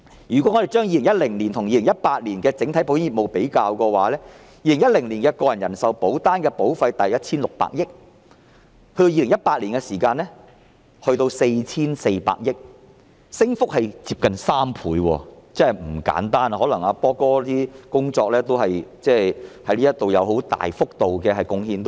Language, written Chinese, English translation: Cantonese, 如果我們將2010年與2018年的整體保險業務作比較 ，2010 年個人人壽保單的保費大約是 1,600 億元，而2018年則達到 4,400 億元，升幅接近3倍，真的不簡單，可能"波哥"在這方面作出很大的貢獻。, Regarding the total business turnover of the insurance industry in 2010 and 2018 the total premiums of personal life insurance policies amounted to about 160 billion in 2010 and 440 billion in 2018 representing an almost threefold substantial increase . Perhaps Brother Por has made a great contribution in this regard